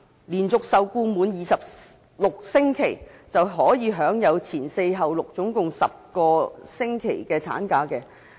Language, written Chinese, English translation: Cantonese, 連續受僱滿26星期的女性僱員，便可以享有"前四後六"，共10個星期的產假。, A female employee under continuous employment of not less than 26 weeks was entitled to 10 weeks maternity leave